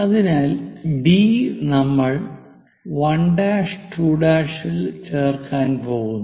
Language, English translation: Malayalam, So, from D also we are going to join 1 prime, 2 prime